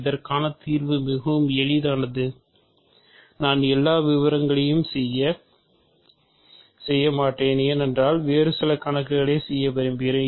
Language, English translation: Tamil, The solution for this is very easy, I will not do all the details because I have I want to do some other problems also